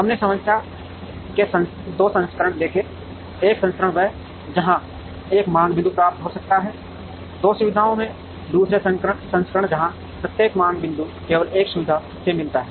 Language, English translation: Hindi, We saw 2 versions of the problem, one version is where a demand point can receive, from two facilities the other version where, every demand point is met from only one facility